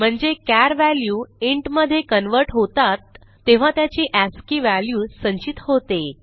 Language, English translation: Marathi, It means when a char is converted to int, its ascii value is stored